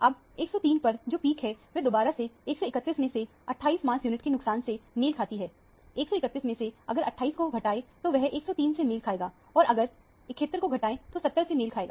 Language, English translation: Hindi, Now, the peak at 103 is again corresponding to the loss of 28 mass unit from 131 – 131 minus 28 correspond to 103; and, 70 – loss of 71 mass unit